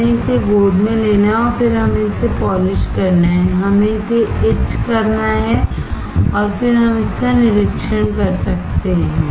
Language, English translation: Hindi, We have to a lap it and then we have to polish it, we have to etch it and then we can inspect it